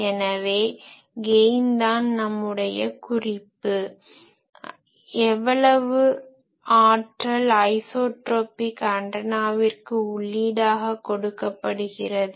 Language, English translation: Tamil, So, gain is reference here that how much power is given to an isotropic antenna